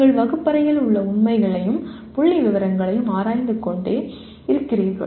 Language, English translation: Tamil, That you are just keep on analyzing facts and figures in the classroom